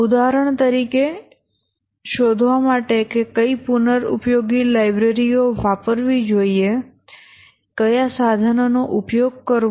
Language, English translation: Gujarati, For example finding out which reusable libraries to use, which tools to use, etc